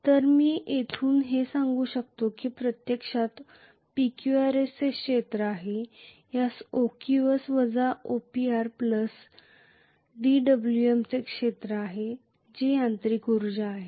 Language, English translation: Marathi, , equal to this is area of OQS minus OPR plus dWm which is the mechanical energy